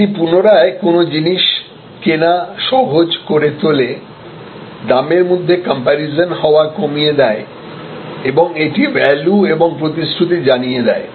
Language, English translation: Bengali, It makes repeat purchase easier, reduces price comparison and it communicates the value, the promise